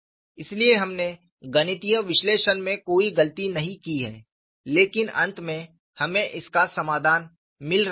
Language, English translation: Hindi, So, we have not done any mistake in the mathematical analysis, but finally, we are getting a solution